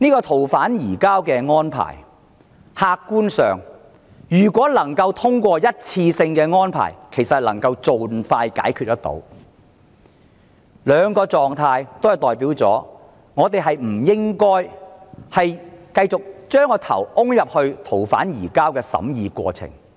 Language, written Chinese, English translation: Cantonese, 此外，客觀上，如能通過一次性的逃犯移交安排，其實便可盡快解決問題，而以上兩種情況均意味着我們不應再埋首於逃犯移交安排的審議過程。, And objectively the adoption of a one - off arrangement for surrender of fugitive offenders can actually serve as a quick solution . Based on these two reasons we should no longer be wrapped up in the consideration of the arrangements for surrender of fugitive offenders